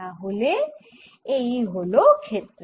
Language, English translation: Bengali, so this is the field